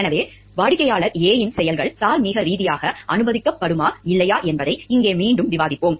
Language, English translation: Tamil, So, here we will again discuss like whether do you think the actions of client A is morally permissible or not